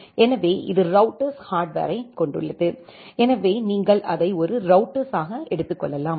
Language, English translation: Tamil, So, this contains the router hardware so, you can talk it as a router